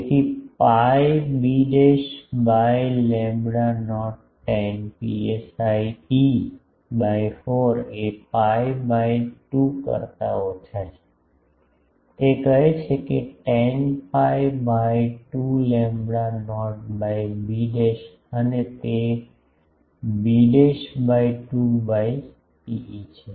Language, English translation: Gujarati, So, pi b dashed by lambda not tan psi e by 4 is less than pi by 2, that says that tan pi by 2 is lambda not by d dashed and that is b dashed by 2 by rho e